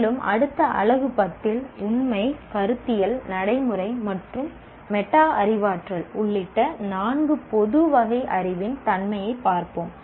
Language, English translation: Tamil, And in the next unit 10, we look at now the nature of four general categories of knowledge including factual, conceptual, procedure and metacognitive